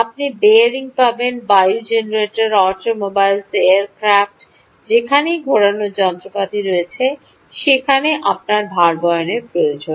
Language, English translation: Bengali, you will find bearings in wind generator, automobiles, aircrafts wherever there is rotating machinery